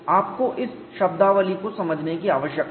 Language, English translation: Hindi, You need to understand this terminology